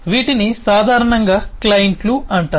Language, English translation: Telugu, these are commonly called clients